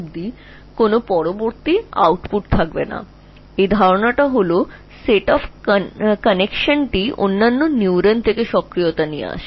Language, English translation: Bengali, So the idea was that a set of connections brings in activation from other neurons